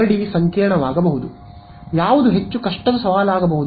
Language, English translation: Kannada, Boundary may be complicated, what is the more difficult challenge